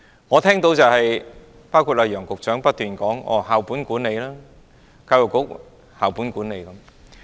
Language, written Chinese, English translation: Cantonese, 我聽到的是楊潤雄局長不斷說："教育局實行校本管理"。, What I hear is that Secretary Kevin YEUNG keeps saying the Education Bureau practices school - based management